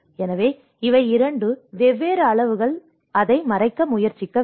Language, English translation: Tamil, So, these are two different scales should try to cover that